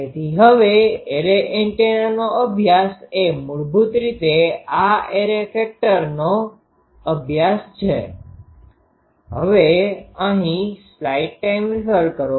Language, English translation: Gujarati, So, now study of array antenna is basically this study of this array factor